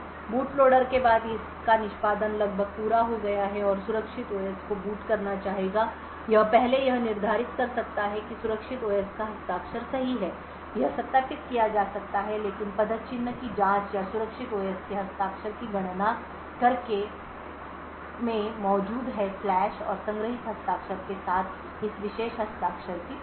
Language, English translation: Hindi, After the boot loader is nearly completing its execution and would want to boot the secure OS it could first determine that the signature of the secure OS is correct this can be verified but checking the footprint or by computing the signature of the secure OS present in the flash and verifying this particular signature with a stored signature